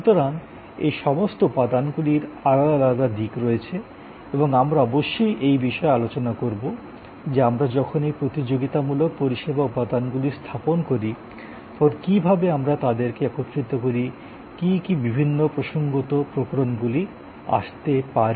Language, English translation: Bengali, So, all these elements therefore, have different aspects and as we go along the course we will discuss that when we deployed this competitive service elements, what are the ways we combine them, what are the different contextual variations that may come up out